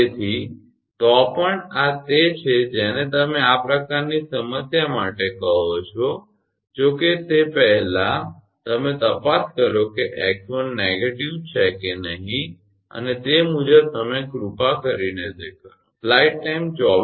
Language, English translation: Gujarati, So, anyway, this is your what you call that for this kind of problem that if it first you check whether x 1 is negative or not and accordingly you please do it